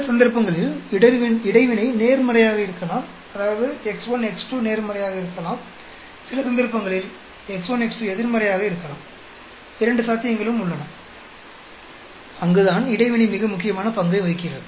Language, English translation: Tamil, In some cases, the interaction could be positive; that means, x1 x2 could be positive; in some cases, x1 x2 could be negative also; both the possibilities are there, and that is where the interaction plays a very important role